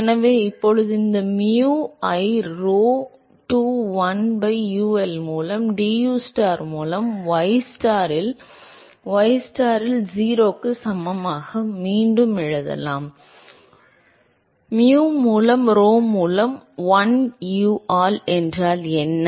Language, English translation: Tamil, So, now can rewrite this mu by rho into1 by UL into dustar by dystar at ystar equal to 0, what is mu by rho and1 by UL